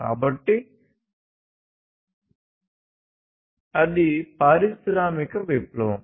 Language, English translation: Telugu, So, that was the industrial revolution